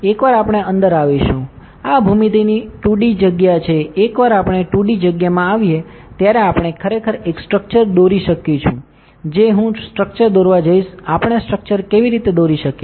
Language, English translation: Gujarati, Once we are in; this is the 2D space of the geometry, once we are in the 2D space we can actually draw a structure I am going to draw a structure how do we draw the structure